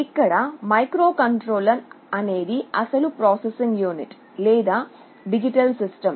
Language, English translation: Telugu, The microcontroller can be sitting here, this is the actual processing unit or digital system